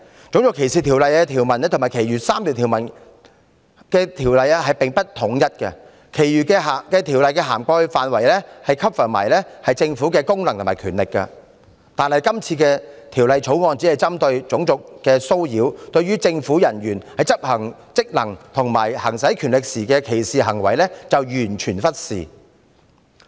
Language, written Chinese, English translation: Cantonese, 《種族歧視條例》和其餘3項反歧視條例的條文並不一致，其餘的條例涵蓋範圍包括政府的功能和權力，但《條例草案》只針對種族的騷擾，對於政府人員在執行職能和行使權力時的歧視行為則完全忽視。, The provisions in RDO and those in the other anti - discrimination ordinances are inconsistent; the scope of protection against discrimination in the other ordinances covers acts of the Government committed in the performance of its functions or the exercise of its powers . The Bill however only focuses on dealing with racial harassment but totally neglects discriminatory acts committed by government personnel in the performance of its functions or the exercise of its powers